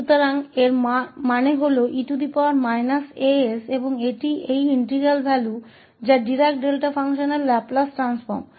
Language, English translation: Hindi, So, that means e power minus as that is the value of this integral and which is the Laplace transform of Dirac Delta function